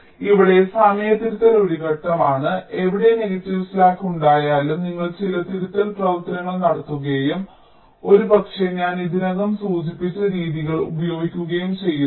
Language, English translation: Malayalam, so here timing correction is one step where, wherever there is a negative slack, you make some corrective actions and maybe using the methods i have already mentioned, just sometime back and again you use static timing analysis